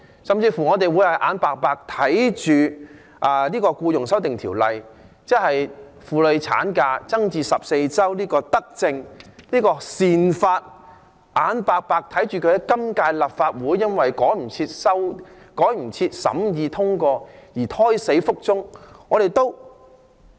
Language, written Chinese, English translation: Cantonese, 我們是否眼白白看着《條例草案》將婦女產假增加至14周的德政、這項善法在今屆立法會因為趕不上審議和通過而胎死腹中？, Do we want to see the premature death of the Bill pertaining to a benevolent measure or well - intended law of increasing the maternity leave period to 14 weeks because it cannot be scrutinized and passed in time in this session of the Legislative Council?